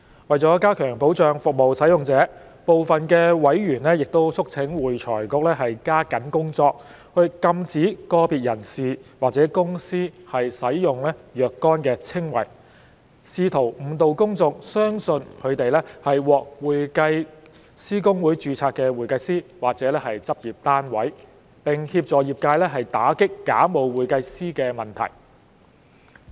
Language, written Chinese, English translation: Cantonese, 為加強保障服務使用者，部分委員促請會財局加緊工作，禁止個別人士或公司使用若干稱謂，試圖誤導公眾相信他們是獲會計師公會註冊的會計師或執業單位，並協助業界打擊假冒會計師的問題。, With a view to enhancing protection for the interests of service users some members have urged AFRC to step up work in prohibiting an individual or a company from using certain descriptions in an attempt to mislead the public into believing that the individual or company is a CPA or a practice unit registered with HKICPA and to assist the profession in combating the situation of bogus accountants